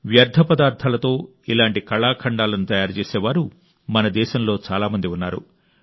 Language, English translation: Telugu, There are many people in our country who can make such artefacts from waste